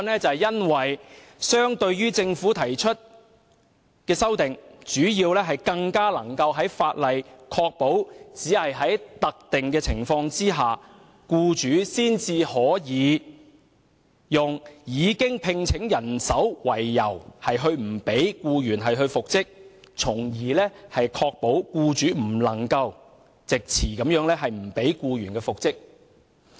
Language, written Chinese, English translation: Cantonese, 主要原因是相對於政府提出的修訂，他的修正案更能使法例確保只有在特定的情況下，僱主才可用已另聘人手為由不讓僱員復職，從而確保僱主不能藉詞不讓僱員復職。, The main reason is that compared with the Governments amendments his amendments can better enable the legislation to ensure that only under specific circumstances can employers refuse to reinstate employees on the grounds of having engaged other people so as to ensure that employers have no excuse not to reinstate employees